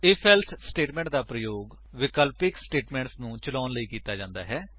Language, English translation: Punjabi, If...Else statement is used to execute alternative statements